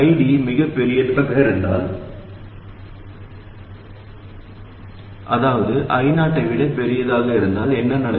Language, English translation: Tamil, If ID is too large, that is it is larger than I 0, what must happen